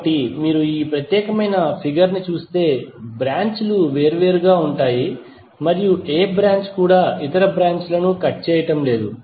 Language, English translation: Telugu, So it means that if you see this particular figure, the branches are separate and no any branch is cutting any other branch